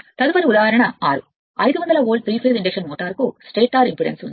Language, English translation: Telugu, Next is example 6; a 500 volt, 3 phase induction motor has a stator impedance of this much